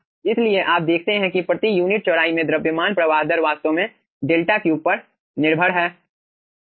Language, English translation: Hindi, so you see, the mass flow rate per unit width is actually dependent on the delta cube